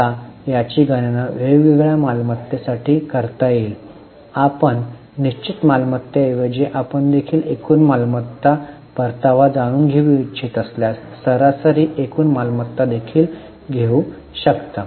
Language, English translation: Marathi, You can instead of fixed assets you can also take average total assets if you want to know the return on total assets